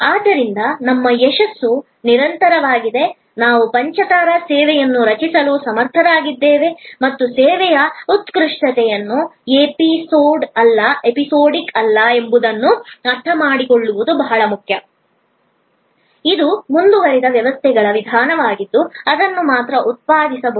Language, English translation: Kannada, So, that our success is continues, we are able to create a five star service and it is important to understand that service excellence is not episodic, it is a continues systems approach that can only produce it